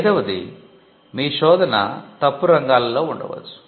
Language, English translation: Telugu, Fifthly, you could be searching in the wrong classes